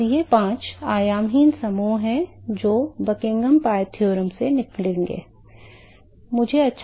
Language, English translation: Hindi, And, these are the five dimensions less group that will come out of the Buckingham pi theorem